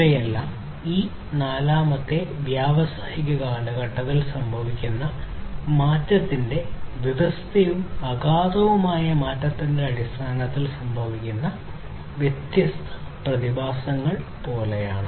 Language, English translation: Malayalam, So, these are all like different phenomena that are happening in terms of change, systematic and profound change that are happening in this fourth industrial age